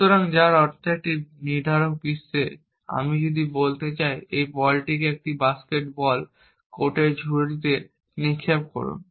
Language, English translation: Bengali, So, which means in a deterministic world, if I want to say throw this ball into the basket on a basket ball court, then you put ball into the basket essentially